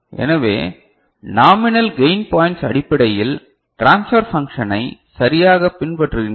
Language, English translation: Tamil, So, nominal gain points is basically following the transfer function right